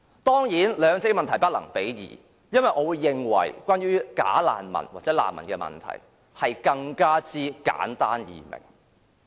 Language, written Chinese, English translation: Cantonese, 當然，兩個問題是不能比較的，因為我認為就着"假難民"或難民問題，其實是更加簡單易明。, Actually we cannot compare the two issues directly because in my opinion the problem of bogus refugees or refugees is in fact more simple and easier to understand